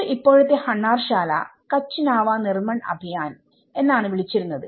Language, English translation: Malayalam, Earlier, the present Hunnarshala, itís called Kutch Nava Nirman Abhiyan and now it is called Hunnarshala Foundation